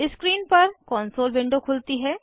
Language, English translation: Hindi, The console window opens on the screen